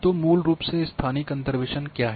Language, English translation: Hindi, So, what is basically spatial interpolation